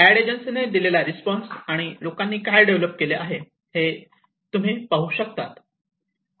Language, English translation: Marathi, You can see the responses what the aid agencies have given, and what people have developed